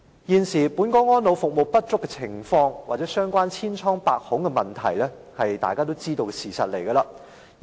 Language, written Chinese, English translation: Cantonese, 現時本港安老服務不足及千瘡百孔，是大家也知道的事實。, Elderly care services in Hong Kong are inadequate and plagued with problems . This is a fact we all know